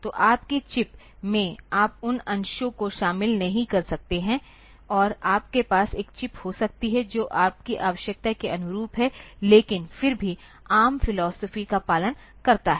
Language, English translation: Hindi, So, in your chip you may not include those portions, and you can have a chip which is just catering to your requirement, but still following the philosophy of ARM